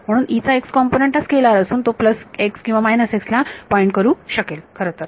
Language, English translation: Marathi, So, x component of E it is a scalar can either point in the plus x or the minus x there actually